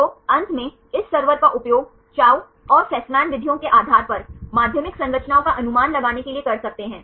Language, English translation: Hindi, So, finally, can use this server to predict the secondary structures based on Chou and Fasman methods